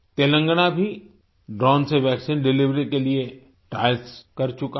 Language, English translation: Hindi, Telangana has also done trials for vaccine delivery by drone